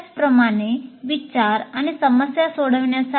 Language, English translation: Marathi, Similarly for thinking, similarly for problem solving